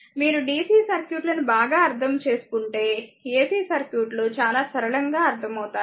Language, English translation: Telugu, So, if you understand the dc circuit one then will find ac circuit is as simple as anything right